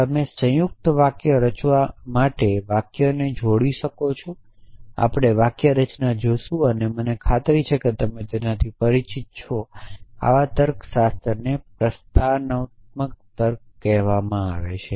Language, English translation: Gujarati, You can combined sentences to form compound sentences we will see the syntax and I am sure you are familiar with it such logics are called